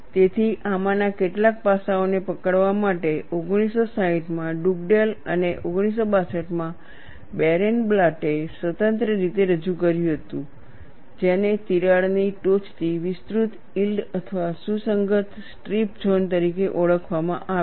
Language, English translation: Gujarati, So, in order to capture some of these aspects Dugdale in 1960, and Barenblatt in 1962 independently introduced what are known as yielded or cohesive strip zones extending from the crack tip